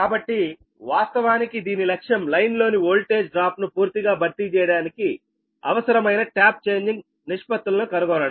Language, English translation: Telugu, right, and so actually its objective is to find out the tap changing ratios required to completely compensate for the voltage drop in the line right